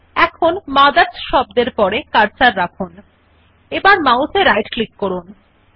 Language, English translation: Bengali, Now place the cursor after the word MOTHERS and right click on the mouse